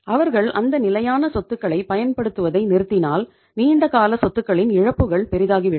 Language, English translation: Tamil, If they stop using those fixed assets, long term assets their losses will otherwise magnify